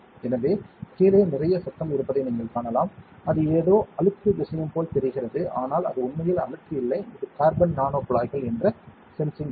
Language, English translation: Tamil, So, you can see that underneath, there is a lot of noise right lot of it, it looks like some dirty thing, but it is not actually dirty, it is the sensing material which is carbon nano tubes